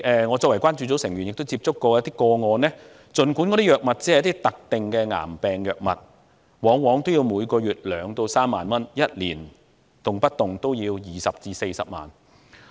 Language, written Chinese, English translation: Cantonese, 我作為關注組的成員，也曾接觸過一些個案，儘管那些藥物只是某種特定的癌病藥物，往往每月也要花費2萬至3萬港元，即每年動輒花費20萬至40萬港元。, As a member of the Concern Group I have come across some cases and learnt that the expenditure on certain specific cancer drugs could be 20,000 to 30,000 each month or 200,000 to 400,000 each year . Being left with no choice all rare disease patients have to bear the high cost of drugs